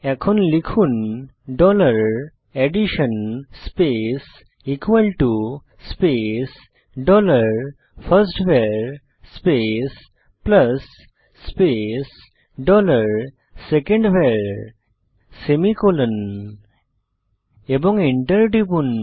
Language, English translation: Bengali, For this type dollar addition space equal to space dollar firstVar plus space dollar secondVar semicolonand Press Enter